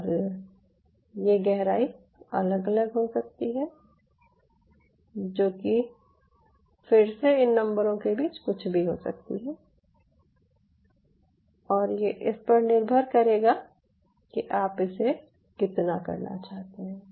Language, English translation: Hindi, this is the depth, so that depth could vary from, say, i would say, anything between again, anything between these numbers, depending on how much you want to do it